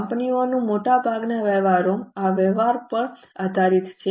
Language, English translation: Gujarati, Most of the transactions of companies are based on these transactions